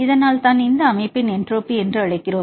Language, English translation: Tamil, So, this is why we call this is the entropy of the system